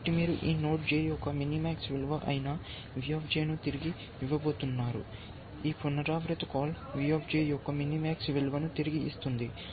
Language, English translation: Telugu, So, you have, you going to return V J, which is the minimax value of this node J, and so this recursive call will return the minimax value of V J